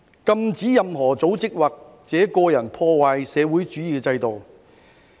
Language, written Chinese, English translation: Cantonese, 禁止任何組織或者個人破壞社會主義制度。, Disruption of the socialist system by any organization or individual is prohibited